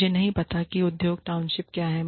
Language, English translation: Hindi, I do not know, what industry townships are